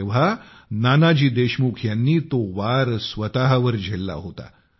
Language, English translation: Marathi, It was Nanaji Deshmukh then, who took the blow onto himself